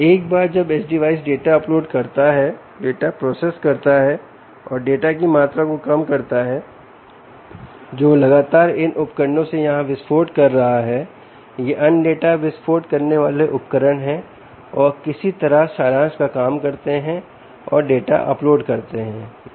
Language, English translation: Hindi, first thing is the age device: right, once the edge device uploads data, processes the data and reduces the amount of data that is constantly exploding from these, from these devices here, exploding from these device is here these other data exploding devices and somehow does some sort of summarisation and uploads the data